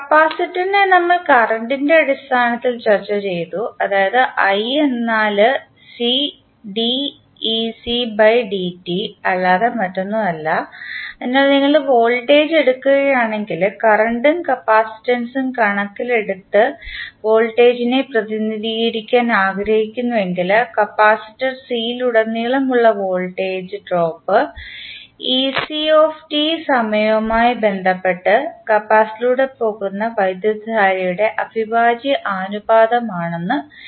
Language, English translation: Malayalam, For capacitor we discussed in terms of current we saw that the i is nothing but cdc by dt so if you take the voltage, if you want to represent the voltage in terms of current and capacitance what you can write the voltage drop that is ect that is ec at any time t across the capacitor C is proportional to the integral of current going through the capacitor with respect to time